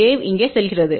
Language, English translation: Tamil, Wave going over here